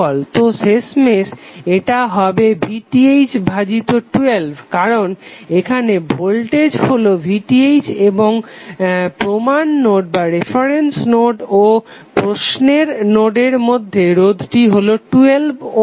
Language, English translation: Bengali, So finally this would be equal to VTh by 12 because the voltage at this is VTh and the resistance connected between the reference node and node in the question is 12 ohm